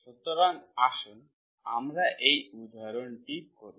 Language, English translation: Bengali, So let us do this example